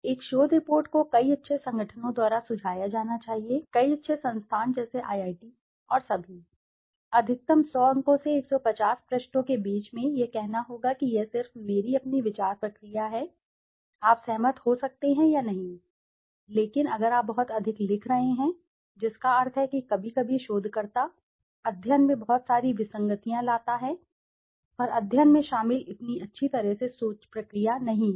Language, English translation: Hindi, A research report should be as suggested by many good organizations, many good institutions like the IIT's and all, there has to be a maximum of maybe let us say in between 100 to 150 pages, this is just my own thought process I am saying, you might agree or not agree but if you are writing too much that means sometimes the researcher brings in a lot of anomalies into the study and not so properly thought process involved in the study